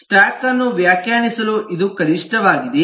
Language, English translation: Kannada, this is minimum for defining a stack